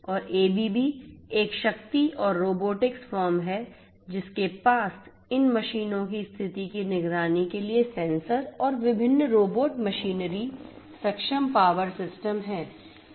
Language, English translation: Hindi, And ABB as you know is a powerful is a power and robotics firm which comes you know which has sensors which has you know different robotic machinery enabled power systems, for monitoring the conditions of these machines and so on